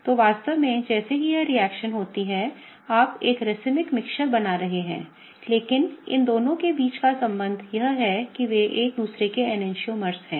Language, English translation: Hindi, So, in reality you are creating a racemic mixture as this reaction happens, but the relationship between these two is they are enantiomers of each other